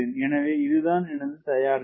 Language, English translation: Tamil, so this is my preparation